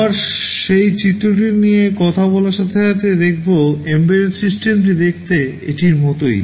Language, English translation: Bengali, Again talking about that diagram, this is what embedded system looks like